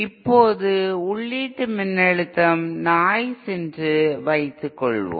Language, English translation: Tamil, For now let us assume that input voltage is noise